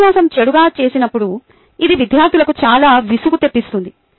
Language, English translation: Telugu, when the lecture is done badly, it can be highly boring for the students